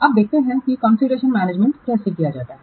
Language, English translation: Hindi, Now let's see how configuration management is carried out